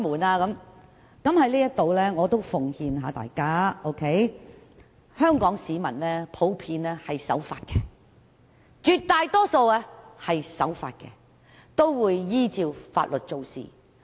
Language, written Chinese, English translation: Cantonese, 我在這裏奉勸大家，香港市民普遍是守法的，絕大多數都是守法的，並會依法行事。, I nonetheless would like to advise that Hong Kong people are generally law - abiding and will act in accordance with the law